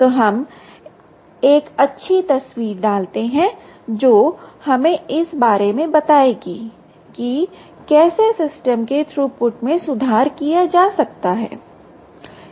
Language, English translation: Hindi, so let us put down a nice picture which will tell us about how the system, ah, how throughput, can be improved